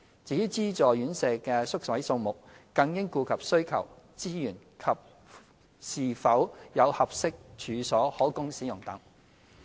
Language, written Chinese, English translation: Cantonese, 至於資助院舍的宿位數目，更應顧及需求、資源及是否有合適處所可供使用等。, As regards the number of subsidized residential care places the demand resources and the availability of suitable premises should also be considered